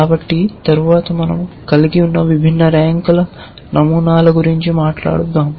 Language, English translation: Telugu, So, next let us just talk about the different kind of patterns that we can have